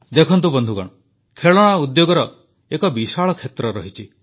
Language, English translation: Odia, Friends, the toy Industry is very vast